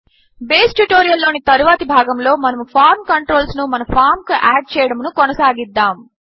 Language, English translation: Telugu, In the next part of the Base tutorial, we will continue adding the rest of the form controls to our form